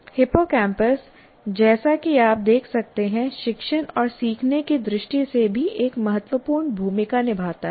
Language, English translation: Hindi, So hippocampus, as you can see, plays also an important role in terms of teaching and learning